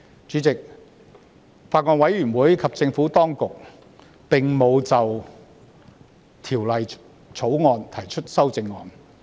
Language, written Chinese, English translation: Cantonese, 主席，法案委員會及政府當局不擬就《條例草案》提出修正案。, President the Bills Committee and the Administration have not proposed any amendments to the Bill